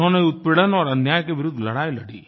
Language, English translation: Hindi, He fought against oppression & injustice